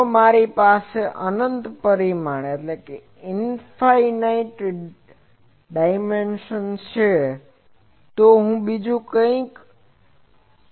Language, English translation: Gujarati, If I have infinite dimension, then there is something else